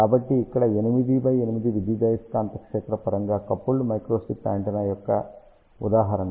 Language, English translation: Telugu, So, here is an example of 8 by 8 electromagnetically coupled microstrip antenna array